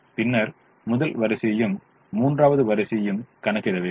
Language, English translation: Tamil, then we have to do the first row as well as the third row